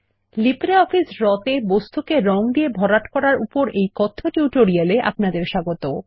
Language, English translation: Bengali, Welcome to the Spoken Tutorial on Fill Objects with Color in LibreOffice Draw